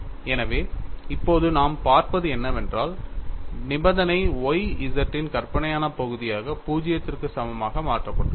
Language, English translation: Tamil, So, now, what we will see is the condition is modified as imaginary part of Y z equal to 0